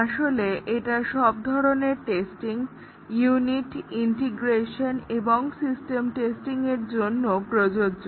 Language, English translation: Bengali, Actually, it is applicable for all types of testing, unit, integration and system testing